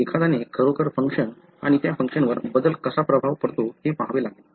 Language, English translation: Marathi, So, one has to really look into the function and how a change affects that function